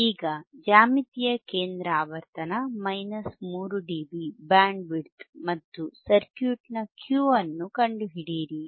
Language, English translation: Kannada, Now, find the geometric center frequency, minus 3dB bandwidth and Q of the circuit